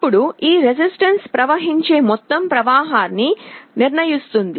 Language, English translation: Telugu, Then this resistance will determine the total current that is flowing